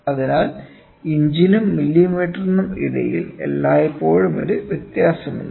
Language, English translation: Malayalam, So, inches and millimetre there is always a difference